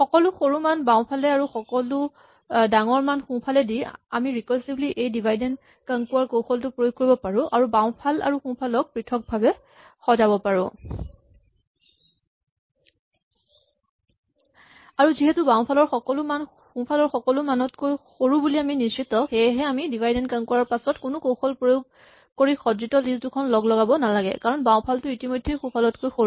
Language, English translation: Assamese, Having done this rearrangement moving all the smaller values to the left half and the bigger values to the right half then we can recursively apply this divide and conquer strategy and sort the right and the left half separately and since we have guaranteed that everything in the left half is smaller than everything in the right half, this automatically means that after this divide and conquer step we do not need to combine the answers in any non trivial way because the left half is already below the right half